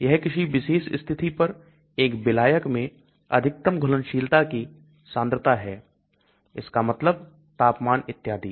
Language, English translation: Hindi, It is the maximum dissolved concentration in a solvent at a given condition that means temperature and so on